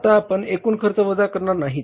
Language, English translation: Marathi, Now we are not subtracting the total cost here